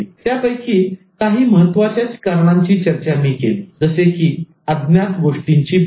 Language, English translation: Marathi, Some of the most important reasons that I discussed were such as the fear of the unknown